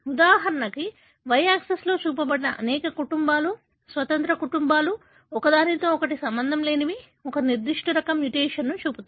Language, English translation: Telugu, For example, what is shown on the y axis ishow many families, independent families, that are not related to each other show a particular type of mutation